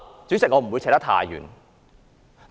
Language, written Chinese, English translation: Cantonese, 主席，我不會說得太遠。, President I will not go too far from the subject